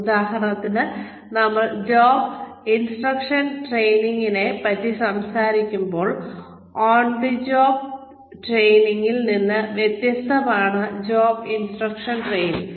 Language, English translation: Malayalam, So for example when we are talking about, job instruction training, on the job training is different from, job instruction training